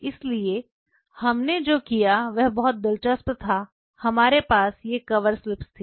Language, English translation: Hindi, So, what we did is very interesting we had these cover slips